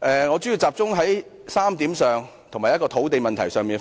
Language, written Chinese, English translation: Cantonese, 我主要集中討論3點，以及就土地問題發言。, I will focus my discussion mainly on three points and speak on the land problem